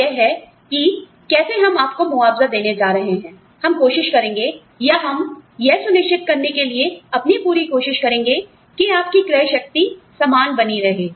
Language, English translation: Hindi, And, this is how, we are going to compensate you for your, we will try, and we will try and make sure, or, we will we will try our best, to ensure that, your purchasing power remains similar